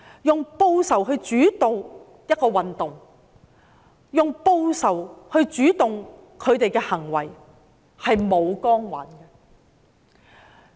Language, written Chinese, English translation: Cantonese, 用報仇來主導一個運動，用報仇來主導他們的行為，是沒有光環的。, When a movement is driven by vengeance and their acts are driven by feelings of revenge they cannot win any halo